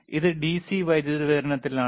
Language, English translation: Malayalam, Is it in DC power supply